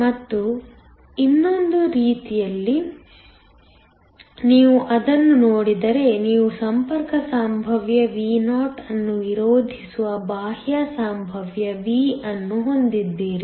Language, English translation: Kannada, And, on the other way, if you look at it you have an external potential V that opposes the contact potential Vo